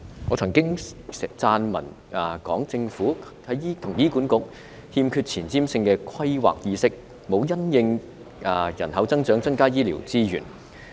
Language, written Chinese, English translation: Cantonese, 我曾經撰文講述，政府與醫院管理局欠缺前瞻性的規劃意識，也沒有因應人口增長增加醫療資源。, I have pointed out in my article that the Government and the Hospital Authority HA lacked a sense of forward - looking planning and it failed to increase health care resources in response to population growth . Let me cite hospital beds as an example